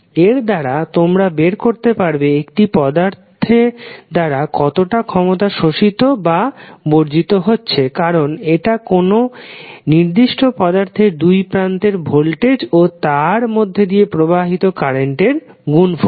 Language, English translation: Bengali, So, by this you can find out how much power is being absorbed or supplied by an element because it is a product of voltage across the element and current passing through that particular element